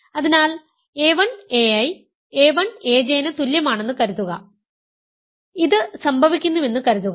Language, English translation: Malayalam, So, suppose a 1 a i is equal to a1 a j for suppose this happens, if a1 a i is equal to a1 a j